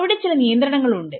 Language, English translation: Malayalam, What are the constraints